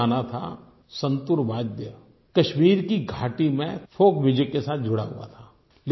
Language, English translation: Hindi, There was a time when the santoor was associated with the folk music of the Kashmir valley